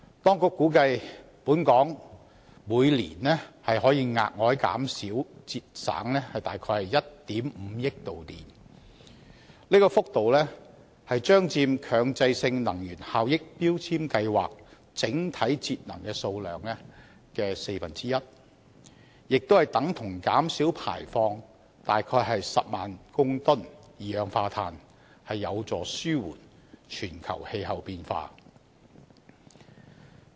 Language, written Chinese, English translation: Cantonese, 當局估計本港每年可額外節省約1億 5,000 萬度電，這幅度將佔強制性能源效益標籤計劃整體節能數量的四分之一，亦等於減少排放約10萬公噸二氧化碳，有助紓緩全球氣候變化。, The authorities estimated that an additional annual energy saving of around 150 million kWh can be achieved for Hong Kong . The amount of energy saved which accounts for a quarter of the total energy saving of MEELS and is equivalent to an annual reduction of carbon dioxide emission of around 105 000 tonnes will be conducive to alleviating the global climate change